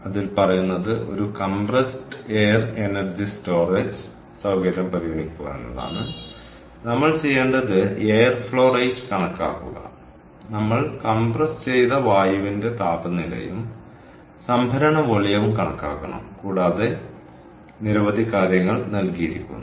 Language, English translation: Malayalam, so what it says is: consider a compressed air energy storage facility and what we have to do is we have to calculate air flow rate, we have to calculate compressed air temperature and storage volume, ok, and several things are given